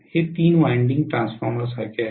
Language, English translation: Marathi, This is like a three winding transformer